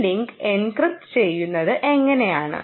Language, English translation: Malayalam, ok, and how is this link encrypted